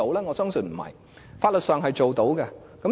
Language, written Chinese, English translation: Cantonese, 我相信不是，法律上是可以做到的。, I believe it is not out of the question and I think in legal terms we can do that